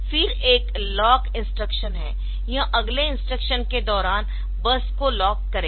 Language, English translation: Hindi, And there is a lock instruction it will lock the bus during next instruction